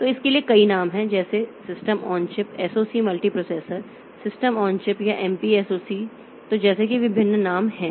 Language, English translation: Hindi, So, there are several names for that like system on chip, SOC, multi processor system on chip or MP S O C